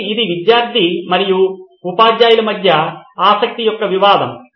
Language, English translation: Telugu, So this is the conflict of interest between the student and the teacher